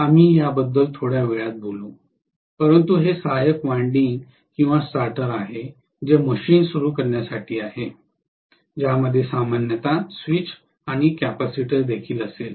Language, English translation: Marathi, We will talk about this within a short while, but this is the auxiliary winding or starter which is meant for starting the machine that will normally have a switch and the capacitor as well